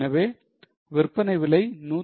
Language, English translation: Tamil, So, selling price comes to 151